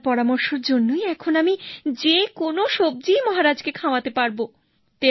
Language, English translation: Bengali, Because of your suggestion now I can serve any vegetable to the king